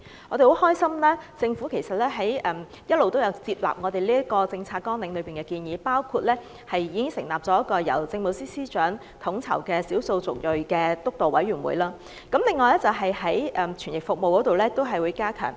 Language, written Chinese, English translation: Cantonese, 我們很高興，政府一直都有接納我們這份政策綱領中的建議，包括已成立了一個由政務司司長統籌的少數族裔督導委員會；另外亦會加強傳譯服務。, We are glad that the Government has been receptive to our proposals in this policy agenda . For example the Ethnic Minorities Steering Committee has been set up under the coordination of the Chief Secretary for Administration; and interpretation service will be enhanced